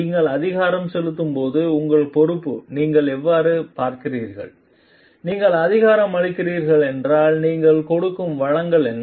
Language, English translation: Tamil, How you see your responsibility, when you are empowering and if you are empowering then what are the resources that you are giving